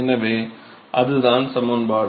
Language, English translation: Tamil, So, that is a pretty good equation and